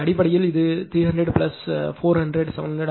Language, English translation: Tamil, So, basically it will be 300 plus 400, 700